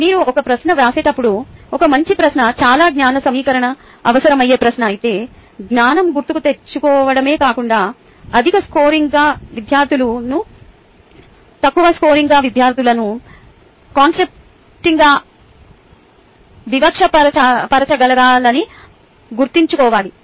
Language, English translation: Telugu, also, when you write a question, its important to keep in mind that a good question should be able to if its a question which requires lot at a lot of knowledge assimilation and ah, not just its designed on knowledge recall it should be able to discriminate high scoring students to low scoring students clearly